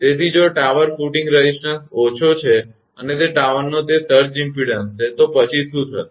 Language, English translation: Gujarati, So, if tower footing resistance is low and that surge impedance of the tower then what will happen